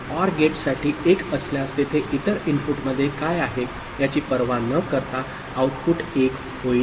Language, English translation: Marathi, For OR gate if 1 is there output will be 1 irrespective of what is there in the other input